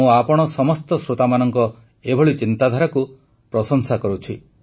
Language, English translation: Odia, I appreciate these thoughts of all you listeners